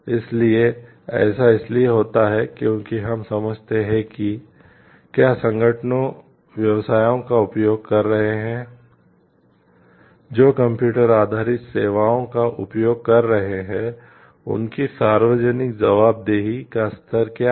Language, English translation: Hindi, So, it so happens because we understand like whether organizations who are using businesses who are using computer based services, what is the level of their public accountability